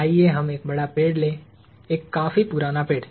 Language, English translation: Hindi, Let us take a large tree – a fairly old tree